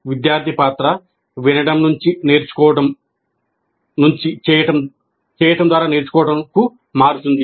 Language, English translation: Telugu, The role of a student changes from listening and then practicing to learning by doing